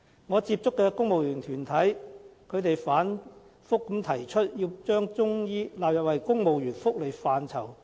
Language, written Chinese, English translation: Cantonese, 我接觸的公務員團體反覆提出要求把中醫納入為公務員的福利範疇。, The civil service groups that I have come into contact with have repeatedly demanded the inclusion of Chinese medicine in civil service welfare